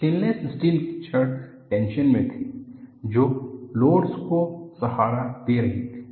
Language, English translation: Hindi, The stainless steel rods were in tension, they were supporting loads